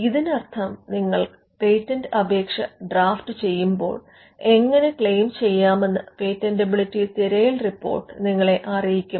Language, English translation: Malayalam, Which means as you draft the patent application, the patentability search report will inform you how to claim